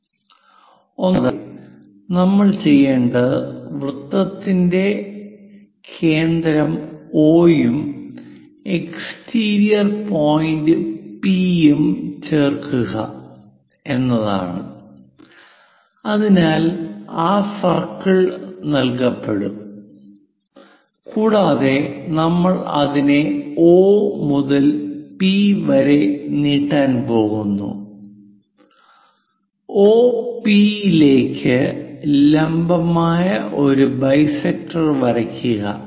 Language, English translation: Malayalam, First of all what we have to do is join centre of circle O and exterior point P, so that circle is given and we are going to extend it from O to P draw a perpendicular bisector to OP